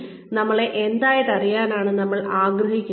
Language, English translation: Malayalam, What do we want, our organization to know us as